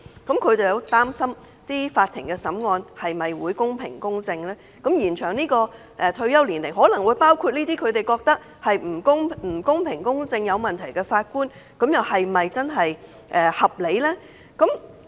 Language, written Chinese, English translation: Cantonese, 因此，他們擔心法庭審案是否公平公正，而延展法官退休年齡的安排也可能包括他們認為不公平公正、有問題的法官，令他們質疑是否合理。, Hence they worry whether or not courts will remain fair and impartial in hearing and they query if it is justified that the arrangement of extending the retirement age for Judges will also be applicable to Judges they consider unfair biased and problematic